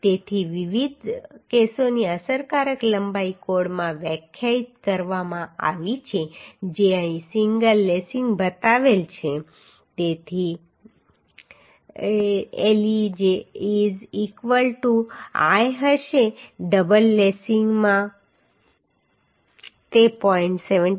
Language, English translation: Gujarati, 7l So the effective length for different cases has been defined in the code which is shown here in single lacing it will be le is equal to l in double lacing it will be 0